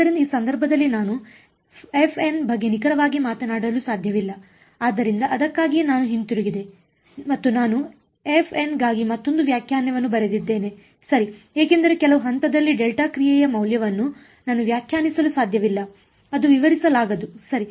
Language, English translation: Kannada, So, that is why I went back and I wrote another definition for f m right because I cannot define the value of a delta function at some point, its a undefined right